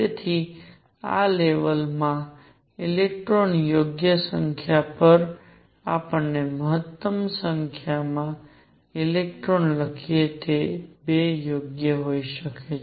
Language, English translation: Gujarati, So, maximum number of electrons let us write on the right number of electrons in this level could be 2 right